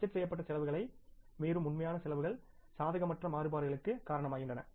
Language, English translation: Tamil, Actual expenses that exceed the budgeted expenses result in unfavorable variances